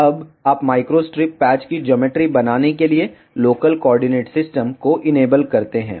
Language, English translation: Hindi, Now, you enable local coordinate system to make the geometry of micro strip patch